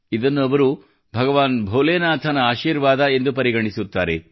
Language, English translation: Kannada, They consider it as the blessings of Lord Bholenath